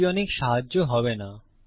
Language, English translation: Bengali, This wont be of much help